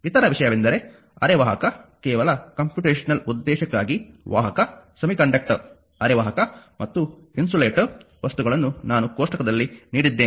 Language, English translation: Kannada, Other thing are semiconductor if just for computational purpose that conductor semiconductor and your insulator material just I given a table